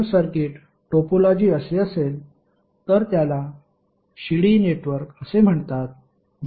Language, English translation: Marathi, If the circuit topology is like this it is called a ladder network